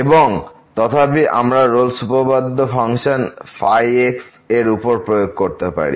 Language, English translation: Bengali, And therefore, we can apply the Rolle’s theorem to this function